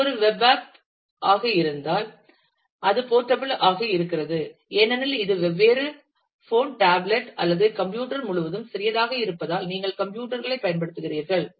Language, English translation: Tamil, If it is a web app app, then it is portable because it is portable across different phone tablet or computer because, you are using generic technologies